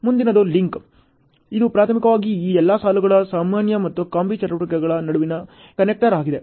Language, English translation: Kannada, The next is link it is primarily a connector between all these queues normal and combi activities ok